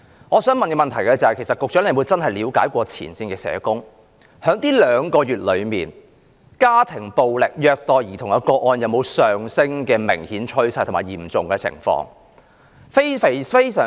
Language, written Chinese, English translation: Cantonese, 我想問局長有否真正向前線社工了解，在這兩個月內，家庭暴力和虐待兒童個案有否明顯上升及惡化的趨勢？, I would like to ask the Secretary Has he really approached frontline social workers to gain an understanding about whether there was obviously a rising and deteriorating trend of domestic violence and child abuse cases over the past two months?